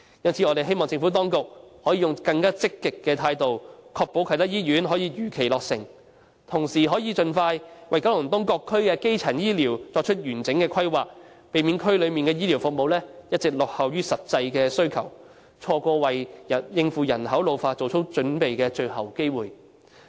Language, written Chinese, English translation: Cantonese, 因此，我們希望政府當局可以採取更積極的態度，確保啟德醫院可以如期落成，並同時盡快為九龍東各區的基層醫療服務作出完整規劃，避免區內的醫療服務一直落後於實際需求，錯過為應付人口老化作出準備的最後機會。, Hence we hope the Administration can adopt a more proactive attitude to ensure that the Kai Tak Hospital can be completed on schedule and at the same time expeditiously conduct thorough planning for primary healthcare services in various districts in Kowloon East to prevent the healthcare services from persistently lagging behind the actual demands in the districts and avoid missing the final opportunity of preparing for population ageing